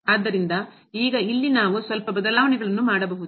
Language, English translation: Kannada, So now, here we can do little bit manipulations